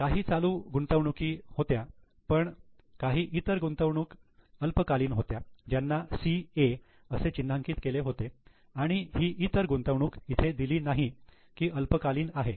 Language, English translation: Marathi, There were some current investments, see other investments short term which were marked as CA and this one is other investments short, it is not given its short term so most is long term